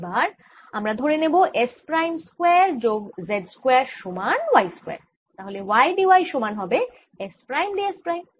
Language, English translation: Bengali, lets take z square plus s prime square to be sum y square, so that y d y is equal to s prime d s prime